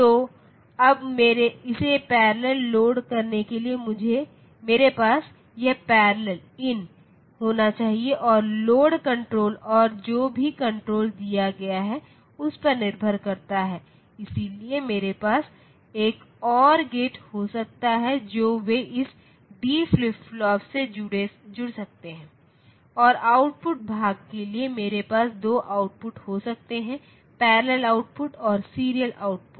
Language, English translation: Hindi, So, now loading it parallel then I should have this parallel in and the load control and depending upon whichever control is given, so I can have an or gate they can connect to this d flip flop and for the output part I can have 2 output parallel output and serial output